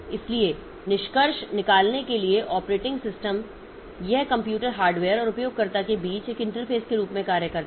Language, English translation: Hindi, So, to conclude, so operating system it acts as an interface between computer hardware and users